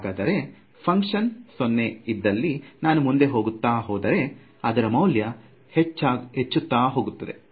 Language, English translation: Kannada, So, if the function is 0 all along over here and as I go to higher and higher values this is going to get larger and larger